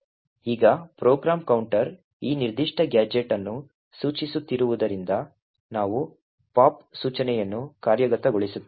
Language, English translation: Kannada, Now since the program counter is pointing to this particular gadget, we would have the pop instruction getting executed